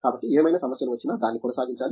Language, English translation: Telugu, So that, any issues come it should be maintained up